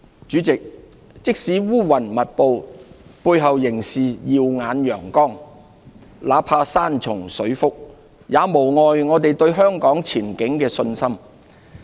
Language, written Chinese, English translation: Cantonese, 主席，即使烏雲密布，背後仍是耀眼陽光；那怕山重水複，也無礙我們對香港前景的信心。, President every cloud has a silver lining . Even though we are not out of the woods yet we have every confidence in our future